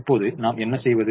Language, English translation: Tamil, now what do we do now